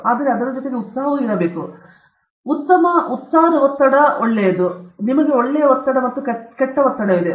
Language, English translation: Kannada, So, there is also something called good stress; for some of you this may be news; you also have, you have good stress and bad stress